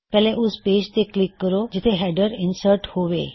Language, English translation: Punjabi, First click on the page where the header should be inserted